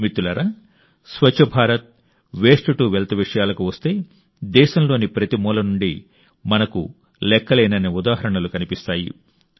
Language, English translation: Telugu, Friends, whenever it comes to Swachh Bharat and 'Waste To Wealth', we see countless examples from every corner of the country